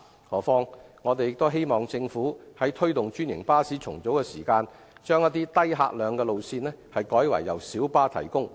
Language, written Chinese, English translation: Cantonese, 何況，我們亦希望政府在推動專營巴士重組時，把一些低客量的路線改為由小巴提供。, Moreover we also hope that the Government will when pursuing franchised bus service rationalization allocate bus routes with lower patronage for operation by light buses